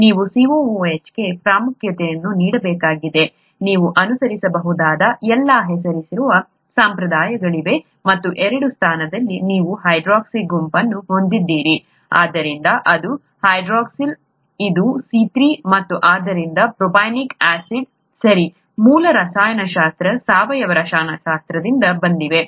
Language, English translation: Kannada, And from the structure you could write this is number one, number two, number three and now you need to give importance for COOH its all the naming conventions that you could follow and so at the two position you have hydroxy group, therefore two hydroxyl, this is a C3, and therefore propanoic acid, okay, basic chemistry, organic chemistry